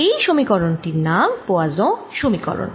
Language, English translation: Bengali, this is known as the poisson equation